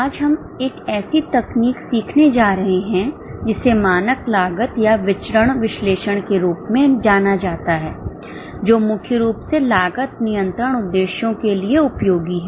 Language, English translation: Hindi, Today we are going to learn a technique known as standard costing or variance analysis that is primarily useful for cost control purposes